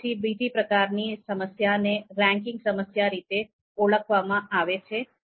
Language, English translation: Gujarati, Then there is another type of problem called ranking problem